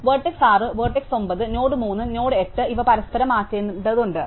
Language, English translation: Malayalam, So, vertex 6, vertex 9, node 3 and node 8, these have to be swapped, right